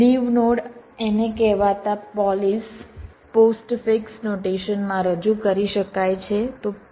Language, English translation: Gujarati, this can be represented in the so called polish postfix notation